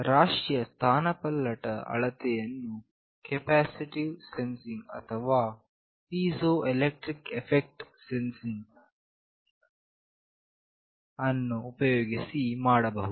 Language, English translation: Kannada, The displacement of the mass can be measured using capacitive sensing or piezoelectric effect sensing